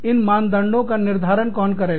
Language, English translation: Hindi, Who will decide, how these standards are decided